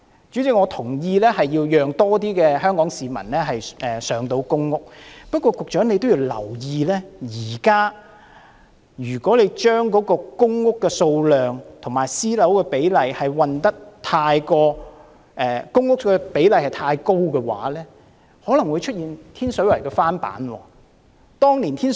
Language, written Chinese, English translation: Cantonese, 主席，我同意要讓更多香港市民能入住公共租住房屋，不過，局長也要留意，現時如果將公屋對比私人房屋的比例調得太高，可能便會出現天水圍的翻版。, President I agree that more public rental housing PRH units should be made available to Hong Kong people but the Secretary should bear in mind that an overly high proportion of public housing in the relevant ratio may result in a repeat of Tin Shui Wais case